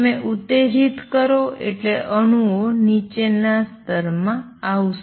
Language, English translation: Gujarati, You stimulate you got the atoms to come down to lower